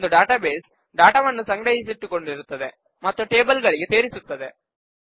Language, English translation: Kannada, A database has data stored and organized into tables